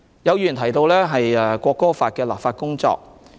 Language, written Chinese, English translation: Cantonese, 有議員提到《國歌法》的本地立法工作。, Some Members mentioned the local legislation to implement the National Anthem Law